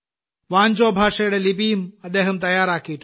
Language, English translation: Malayalam, A script of Vancho language has also been prepared